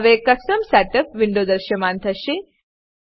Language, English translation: Gujarati, Now, Custom Setup window will appear